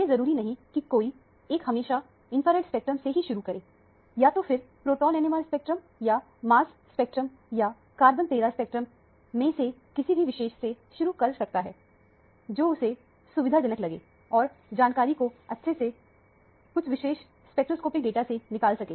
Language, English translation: Hindi, It is not necessary that one should start with infrared spectrum; one can always start with either proton NMR spectrum or mass spectrum or carbon 13 spectrum, which one – whichever one that you feel convenient, extract the information out of that particular spectroscopic data